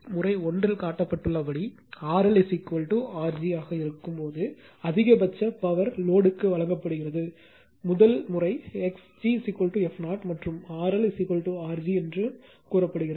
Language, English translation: Tamil, As shown in case 1 the maximum power is delivered to the load when R L will be is equal to R g, there also you said for the first case X g is equal to f 0 then R L is equal to R g